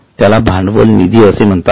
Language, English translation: Marathi, It is called as a capital fund